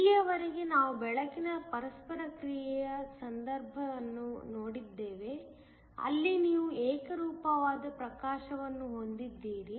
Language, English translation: Kannada, So far we have looked at the case of light interaction, where you have a uniform illumination